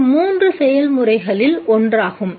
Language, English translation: Tamil, This is one of the three processes